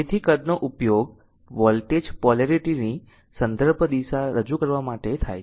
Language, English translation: Gujarati, So, size are used to represent the reference direction of voltage polarity